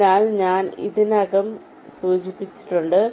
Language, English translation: Malayalam, ok, so this already i have mentioned